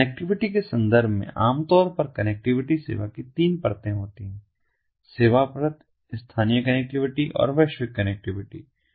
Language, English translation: Hindi, in terms of connectivity, typically there are three layers of connectivity: service service layer, local connectivity and global connectivity